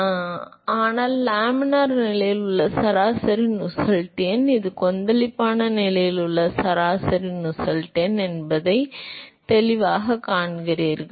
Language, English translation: Tamil, 664 that comes here, that is nothing, but the average Nusselt number in the laminar condition, and this is the average Nusselt number with the turbulent condition